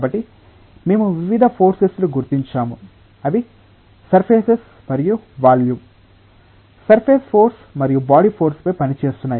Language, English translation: Telugu, So, we are identifying various forces, which are acting on the surfaces and the volume, the surface force and the body force